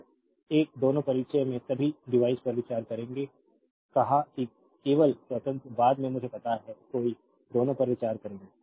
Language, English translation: Hindi, So, will consider a both all the in the introduction be device said only independent later I realize no both will consider right